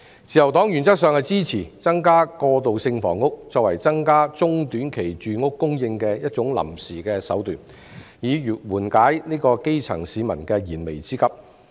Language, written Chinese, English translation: Cantonese, 自由黨原則上支持以增加過渡性房屋作為增加中、短期住屋供應的一種臨時手段，緩解基層市民的燃眉之急。, The Liberal Party supported in principle the increase in transitional housing as a temporary measure to provide additional supply of medium - and short - term housing to relieve the imminent needs of the grass - roots citizens